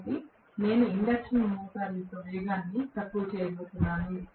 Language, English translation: Telugu, So, I am going to have the lower the speed of the induction motor, Right